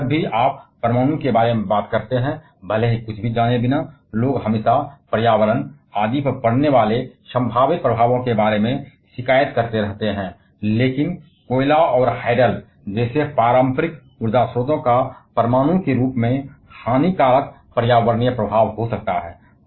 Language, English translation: Hindi, Like in whenever you talk about nuclear, even without knowing anything people always keeps on complaining about the possible effects on the environment etc, but the conventional power sources like a coal and hydel can have as detrimental environmental effect as nuclear